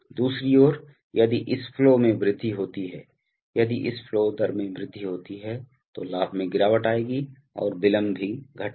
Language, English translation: Hindi, On the other hand, if this flow is increased, if this flow rate is increased then the gain will fall and the delay will also fall